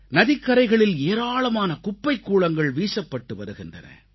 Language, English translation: Tamil, A lot of garbage was being dumped into the river and along its banks